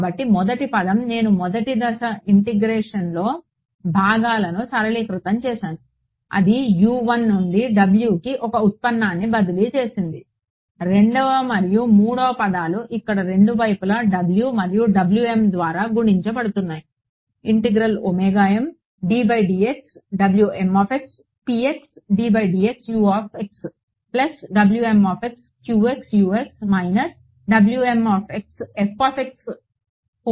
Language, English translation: Telugu, So, the first term is what I did in step 1 integration by parts simplified it transferred one derivative from U 1 to W as a result of doing there second and third term remain as there they get multiplied by W and W m on both sides yeah